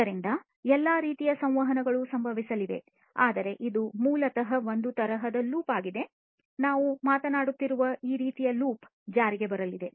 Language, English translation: Kannada, So, all kinds of interactions are going to happen, but this is basically the kind of loop that we are talking about this loop is going to take into effect, right